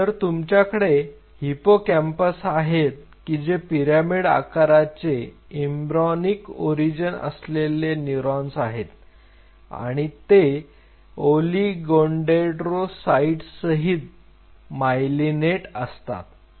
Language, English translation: Marathi, So, you have hippocampal neurons which are basically the pyramidal neurons of embryonic origin and he wanted them to get myelinated with oligodendrocytes